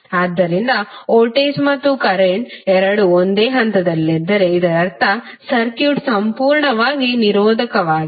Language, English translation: Kannada, So if both voltage and current are in phase that means that the circuit is purely resistive